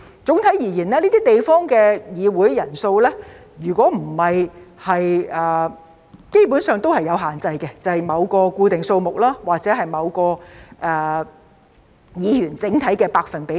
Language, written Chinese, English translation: Cantonese, 總體而言，這些地方的議會人數基本上也是有限制的，便是某個固定數目或議員整體數目的某個百分比等。, On the whole the membership size of these legislatures is basically subject to a cap which is a fixed number or a certain percentage of the total number of members